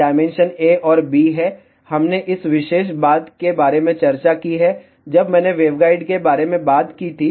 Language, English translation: Hindi, The dimensions are a and b, we have discussed about this particular thing, when I talked about waveguide